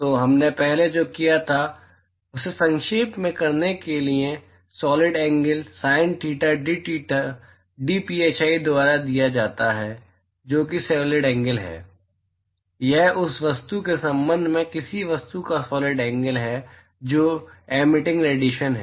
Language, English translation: Hindi, So, just to recap of what we did before, the solid angle is given by sin theta dtheta dphi that is the solid angle, this is the solid angle of an object with respect to the object which is the emitting radiation